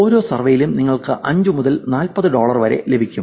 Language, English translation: Malayalam, You get paid 5 to 40 dollars per survey